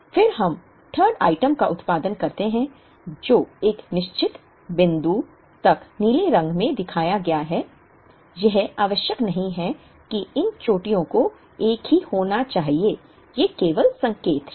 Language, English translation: Hindi, Then we produce the 3rd item which is shown in blue up to a certain point, it is not necessary that these peaks have to be the same these are only indicative